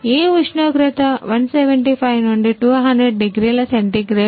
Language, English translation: Telugu, Which temperature is around 175 to 200 degree centigrade